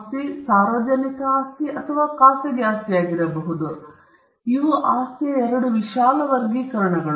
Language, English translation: Kannada, Property can be either public property or private property these are two broad classifications of property